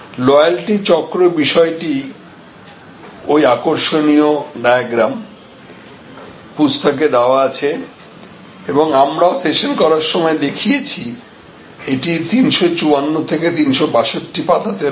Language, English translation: Bengali, This topic wheel of loyalty and that interesting diagram; that is presented in the book and we also showed it during our session in the book, it is from page 354 to 362